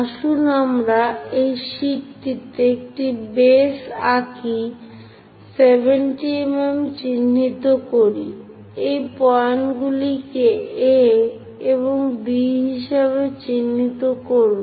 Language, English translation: Bengali, Let us draw that base on this sheet, mark 70 mm; mark these points as A and B, these are the points